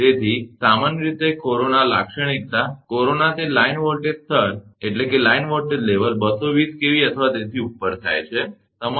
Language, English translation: Gujarati, So, the corona characteristic of generally, corona happens that line having voltage level 220 kV or above, right